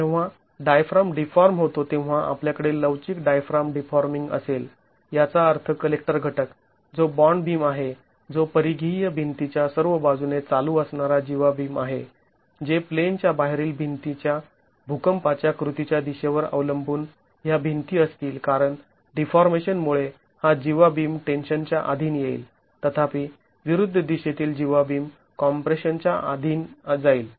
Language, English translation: Marathi, And the diaphragm deforms now we are going to have the flexible diaphragm deforming which means the collector element which is a bond beam that is going to be running all along the peripheral walls is the cod beam which depending on the direction of the earthquake action in the out of plane wall will have these walls because of the deformation